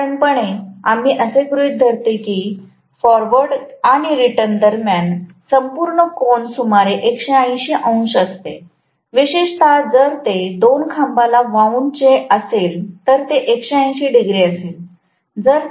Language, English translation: Marathi, Normally we assume that between the forward and the returned the complete angle is about 180 degrees, especially if it is wound for two poles it is going to be 180 degrees